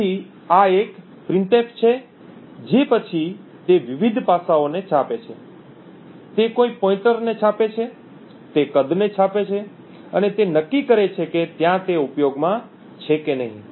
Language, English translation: Gujarati, So, this is a printf which then prints the various aspects it prints a pointer, it prints the size and it determines whether there is it is in use or not in use